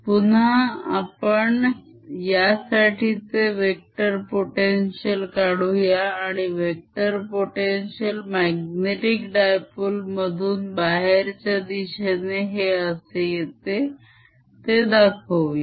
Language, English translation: Marathi, we'll calculate the vector potential due to this and show that vector potential goes to as if it's coming out of a magnetic dipole like this